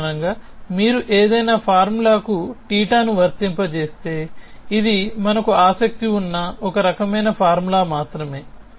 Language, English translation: Telugu, In general if you apply theta to any formula this is just one kind of a formula which we have interested in